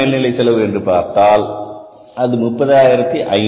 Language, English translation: Tamil, Actual overhead cost if you look at this becomes 30,500